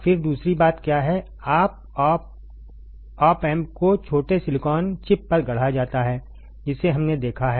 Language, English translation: Hindi, Then what is another thing, the op amp is fabricated on tiny silicon chip we have seen that right